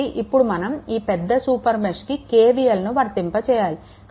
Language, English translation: Telugu, So, now, applying KVL to the larger super mesh you will get